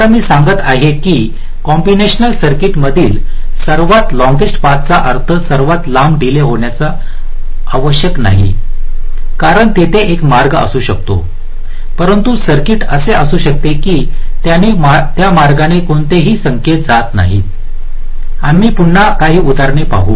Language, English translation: Marathi, now what i am saying is that the longest path in the combinational circuit need not necessarily mean the longest delay, because there are may be path, but the circuit may be such that no signal will follow through that path